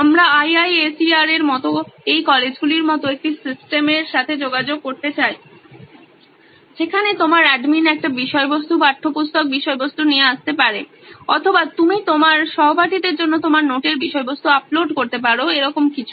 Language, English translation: Bengali, We would also like to interact with a system like this colleges like IISER where your administrator can come up with a content, textbook content or you can upload your notes content for your classmates, something like that